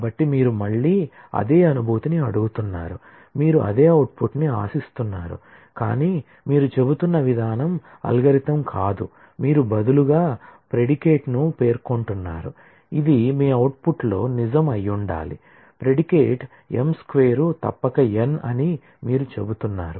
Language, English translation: Telugu, So, you are again asking for the same feel, you are expecting the same output, but the way you are saying is not an algorithm, you are rather specifying a predicate, which must be true in your output